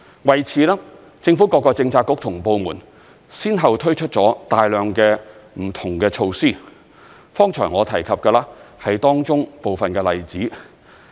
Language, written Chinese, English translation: Cantonese, 為此，政府各個政策局及部門先後推出了大量不同的措施，剛才我提及的是當中部分的例子。, In this connection the various Policy Bureaux and departments of the Government have introduced a great deal of different measures one after another and the examples I mentioned just now are some of them